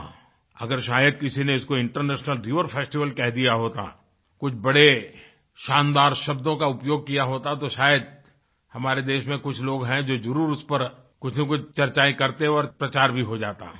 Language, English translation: Hindi, Well, if someone would have given it the moniker "International River Festival", or used some other highfalutin lingo to reference it, well then, it might have resulted in some sort of discussion around this topic in the country